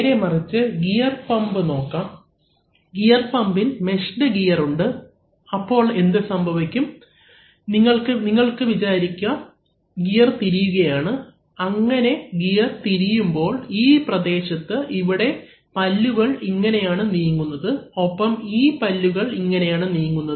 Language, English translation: Malayalam, On the other hand, look at gear pumps, in the gear pumps you have meshed gears, so what is happening you can you can imagine that as this gears are rotating, so as this gears are rotating, in this zone, as this, see, this teeth is moving this way and this teeth is moving this way